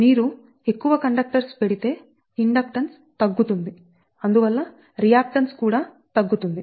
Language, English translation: Telugu, so if you put more conductors, so inductance will become less